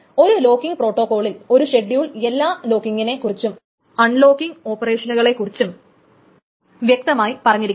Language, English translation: Malayalam, In a locking protocol, a schedule must also mention explicitly all the locking and unlocking operations